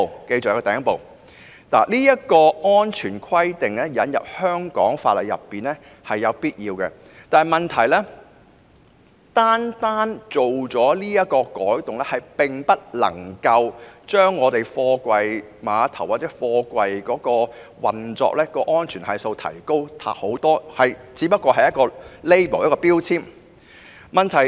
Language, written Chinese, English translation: Cantonese, 將這項安全規定納入香港法例，是有必要的，但問題是，單單這項改動無法提高貨櫃碼頭運作的安全系數，因為始終只是標籤。, The incorporation of this safety requirement is necessary but the problem is that this amendment is unable to enhance the factor of safety factors in container terminal operation because it is merely about labelling after all